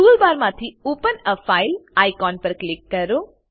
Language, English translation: Gujarati, Click on Open a file icon from the toolbar